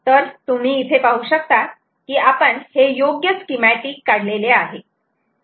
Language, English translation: Marathi, so you can see, this is indeed the right schematic